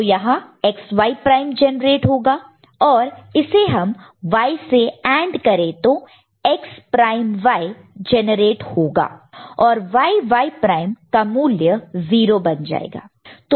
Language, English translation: Hindi, So, XY prime will be generated here and if you AND Y with that right, with this one so, X prime Y will be generated and Y and Y prime will become 0